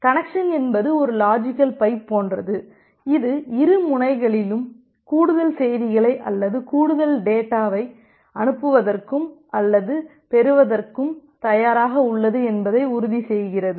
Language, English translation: Tamil, So, the connection is just like a logical pipe that ensures that both the ends are now ready to send or receive further messages or further data